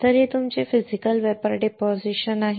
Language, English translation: Marathi, So, this is your Physical Vapor Deposition